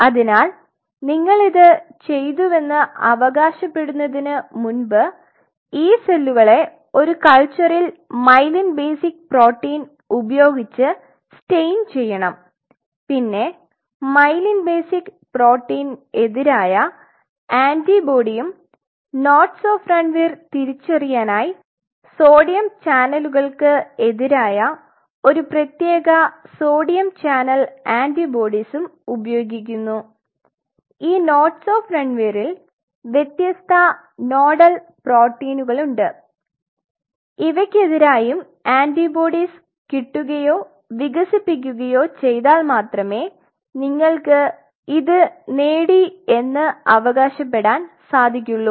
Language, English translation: Malayalam, So, you have to stain these cells in a culture before you claim that you have done it is with myelin basic protein we have talked about it the antibody against myelin basic protein you have to identify the nodes of Ranvier by a specific sodium channel antibodies against sodium channel and at this nodes of Ranvier there are different nodal proteins you have to develop or you have to get the antibodies against them to make a claim that you have achieved this